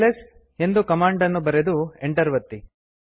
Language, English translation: Kannada, Type the command ls and press enter